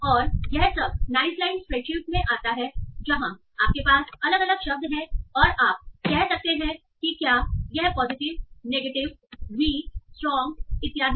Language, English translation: Hindi, And this all comes nicely in a spreadsheet where you have different words and you can say well positive, negative and weak, strong and so on